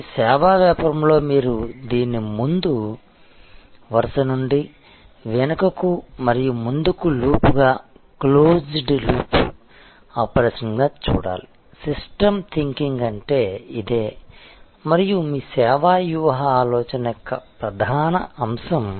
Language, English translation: Telugu, But, in service business you must see it as a continuous flow from the front line to the back and forward as a loop as a closed loop operation; that is what systems thinking is all about and that should be the core of your service strategy thinking